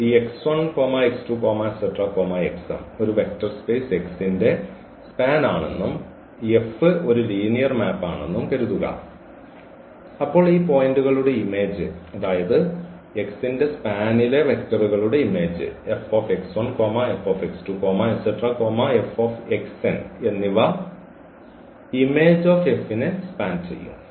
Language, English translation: Malayalam, That suppose this x 1 x 2 x 3 x m is span a vector space X and suppose this F is a linear map, then their image of these points here what these vectors from x which is span the vector space X then this F x 1 F x 2 F x m will also span will span the image F